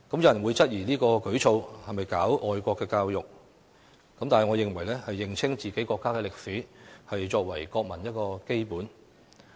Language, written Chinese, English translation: Cantonese, 有人會質疑這項舉措是否搞愛國教育，但我認為認清自己國家的歷史，是作為國民的基本義務。, Some people may query whether this is a move to promote patriotic education but in my view it is a basic obligation of the people of a country to have a clear understanding of their countrys history